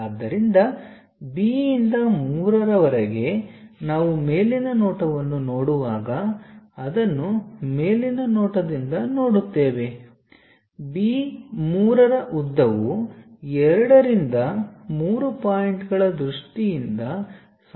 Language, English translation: Kannada, So, from B to 3 which we will see it from the top view when we are looking at top view, the B 3 length is quite visible, in terms of 2 to 3 point